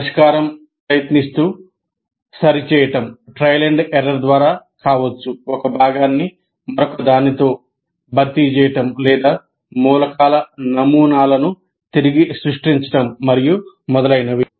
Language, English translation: Telugu, The solution may be by trial and error or replacement of one component by another or I completely re what you call create my models of the elements and so on